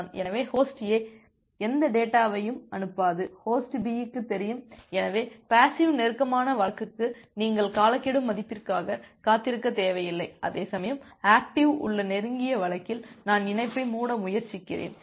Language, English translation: Tamil, So, Host A will not send any more data Host B knows that, so for the passive close case you do not need to wait for the timeout value, whereas for the active close case I am forcefully trying to close the connection